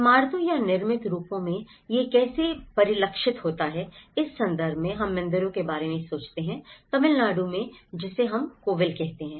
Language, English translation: Hindi, In terms of how it is reflected in the buildings or the built forms, we think about the temples in Tamil Nadu which we call the kovils